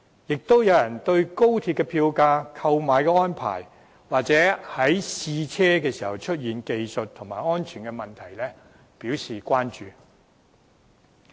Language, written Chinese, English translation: Cantonese, 亦有人關注高鐵票價、購票安排或試車時出現的技術和安全問題。, Others are concerned about the fare levels and ticketing arrangements of XRL or the technical and safety issues arising from the trial run